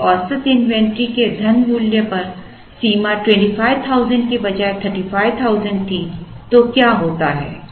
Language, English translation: Hindi, If the limit on the money value of the average inventory was, 35,000 instead of 25,000 then what happens